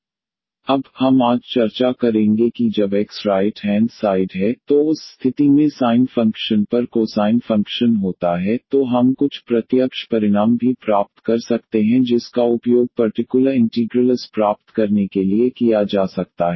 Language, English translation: Hindi, Now, we will discuss today we will continue our discussion that when x the right hand side is of the form the cosine function on the sin function in that case also can we derive some direct results which can be used to get the particular integrals